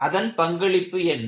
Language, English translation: Tamil, And what is their role